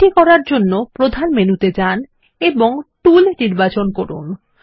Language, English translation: Bengali, To do this: Go to the Main menu and select Tools